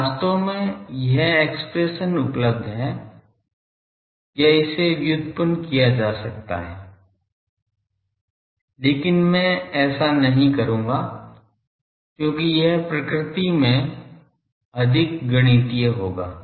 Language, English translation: Hindi, So, actually this expression is available or it can be derived, but I would not do that because that will be more mathematical in nature